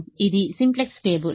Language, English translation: Telugu, this is the simplex table